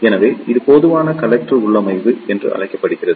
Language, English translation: Tamil, So, this is known as the common collector configuration